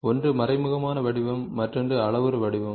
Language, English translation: Tamil, So, one is the implicit form, the other one is the parametric form